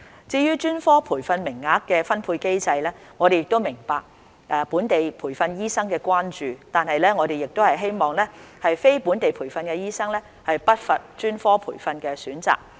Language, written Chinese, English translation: Cantonese, 至於專科培訓名額的分配機制，我們明白本地培訓醫生的關注，但我們亦希望非本地培訓醫生不乏專科培訓的選擇。, Regarding the allocation system of specialist training places whilst understanding locally trained doctors concerns we hope that NLTDs will not be short of specialist training choices